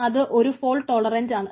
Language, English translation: Malayalam, they are fault tolerant